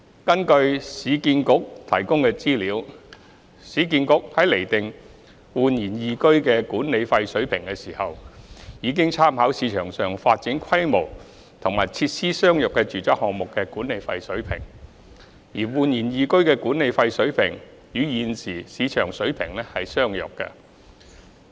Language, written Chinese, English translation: Cantonese, 根據市建局提供的資料，市建局在釐定煥然懿居的管理費水平時，已參考市場上發展規模及設施相若的住宅項目的管理費水平，而煥然懿居的管理費水平與現時市場水平相若。, According to information provided by URA in determining the management fee level of eResidence URA has made reference to the management fees of residential projects in the market with comparable development scale and facilities and the management fee level of eResidence is compatible with the current market level